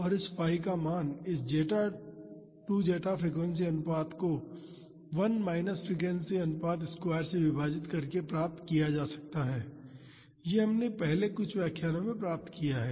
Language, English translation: Hindi, And, the value of phi was derived as this 2 zeta frequency ratio divided by 1 minus frequency ratio square, this we have derived in our previous lectures